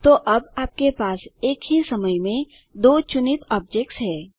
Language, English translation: Hindi, So now you have two objects selected at the same time